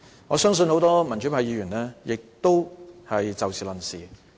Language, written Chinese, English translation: Cantonese, 我相信很多民主派議員也會以事論事。, I believe many pro - democratic Members will hold the same attitude too